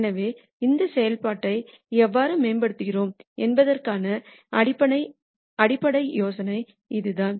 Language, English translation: Tamil, So, this is the basic idea about how we optimize this function